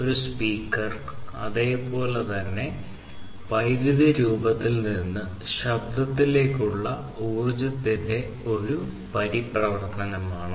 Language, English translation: Malayalam, A speaker is also likewise a converter of energy from electrical form to sound